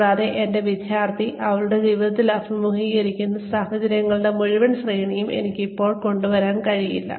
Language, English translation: Malayalam, And, I can still not come up with, the entire gamut of situations, that my student will face in her life